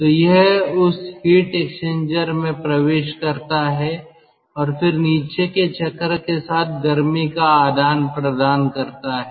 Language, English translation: Hindi, so it enters in that heat exchanger and then exchanges heat with the bottoming cycle so that steam can be generated